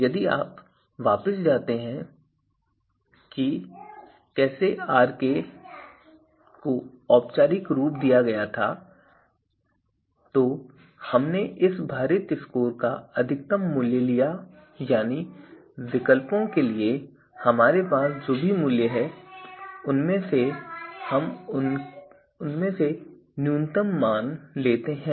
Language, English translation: Hindi, So, if you go back to what how the Rk was formalized so here we are taking the maximum value of this weighted score right and again out of all the values that we have for you know or alternatives so we take you know the minimum of them